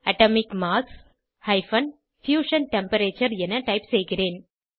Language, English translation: Tamil, I will type Atomic mass – Fusion Temperature